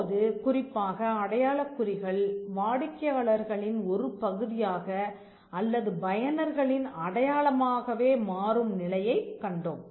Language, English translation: Tamil, And now especially for certain marks becoming a part of the customers or the user’s identity itself